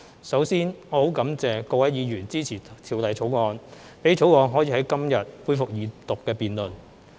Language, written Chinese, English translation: Cantonese, 首先我很感謝各位議員支持《條例草案》，讓《條例草案》可以在今天恢復二讀辯論。, First of all I would like to thank Members for their support of the Bill which enables the resumption of the Second Reading on the Bill today